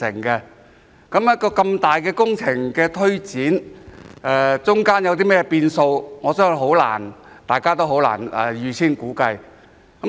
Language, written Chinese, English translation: Cantonese, 一項如此龐大的工程的推展，過程中會有甚麼變數，我相信大家很難預先估計。, I believe that it is very difficult for us to predict in advance the uncertainties that will arise in the course of implementation of such a huge project